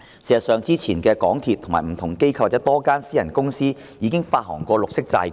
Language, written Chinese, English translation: Cantonese, 事實上，之前香港鐵路有限公司、不同機構及多間私人公司也曾發行綠色債券。, In fact the MTR Corporation Limited MTRCL various institutions and a number of private companies have also issued green bonds